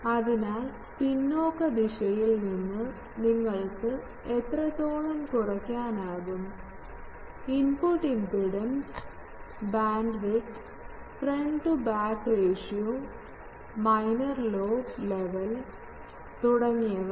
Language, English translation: Malayalam, So, gain in the backward direction also how much reduce you can get; input impedance, bandwidth, front to back ratio, minor lobe level etc